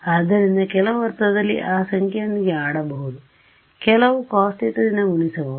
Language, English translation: Kannada, So, in some sense you can play around with that number c right we can multiply by some cos theta whatever